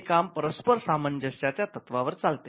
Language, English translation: Marathi, So, it worked on the principle of reciprocity